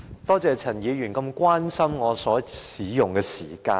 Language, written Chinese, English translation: Cantonese, 多謝陳議員如此關心我所使用的發言時間。, I thank Mr CHAN for caring so much about my speaking time